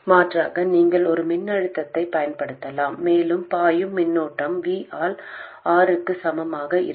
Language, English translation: Tamil, Alternatively you could also apply a voltage and the current that flows will be equal to V by r